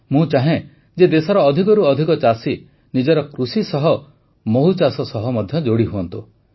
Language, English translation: Odia, I wish more and more farmers of our country to join bee farming along with their farming